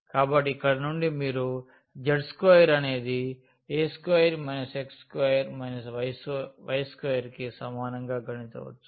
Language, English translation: Telugu, So, from here you can compute z square is equal to a square and minus x square minus y square